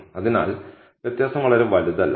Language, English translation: Malayalam, So, the difference is not huge